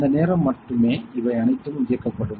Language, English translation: Tamil, So, that time only all these things will turn on